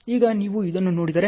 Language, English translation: Kannada, Now, if you look at this